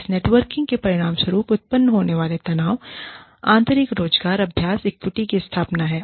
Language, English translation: Hindi, The tensions that arise, as a result of this networking, are establishment of internal employment practice equity